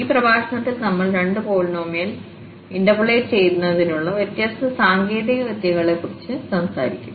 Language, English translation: Malayalam, So, in this lecture we will be talking about two different techniques two different methods for getting interpolating polynomial